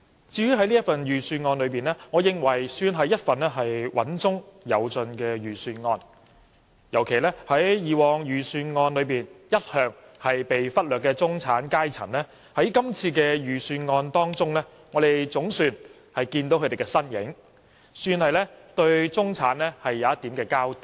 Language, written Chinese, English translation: Cantonese, 至於這份預算案，我認為也算是一份"穩中有進"的預算案，尤其是以往在預算案中一向被忽略的中產階層，在今年的預算案中總算找到他們的身影，算是對中產的一點交代。, I think this Budget has made progress while maintaining stability . In particular the middle class which has always been neglected in previous budgets is finally mentioned in this Budget . It can be said that the Government is finally accountable to the middle class